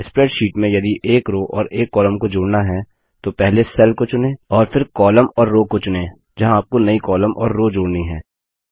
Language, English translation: Hindi, In order to insert a single row or a single column in the spreadsheet, first select the cell, column or row where you want the new column or a new row to be inserted